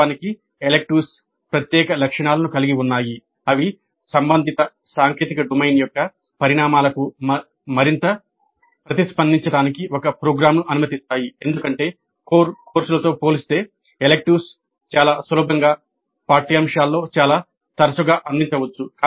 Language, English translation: Telugu, And in fact electives of special characteristics they permit a program to be more responsive to the developments in the technical domain concern because electives can be offered much more easily much more frequently in the curriculum compared to the core courses